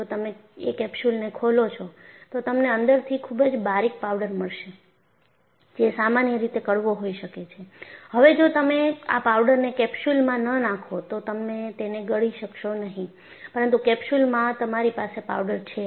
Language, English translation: Gujarati, If you open up the capsule, you will find a very fine powder inside; thepowder,is in general, may be bitter; you will not be able to swallow it if it is not put in a capsule, but with in a capsule, you have powder